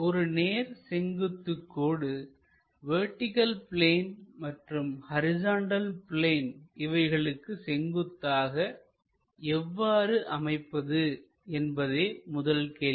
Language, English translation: Tamil, The first question is; a vertical line perpendicular to both vertical plane and horizontal plane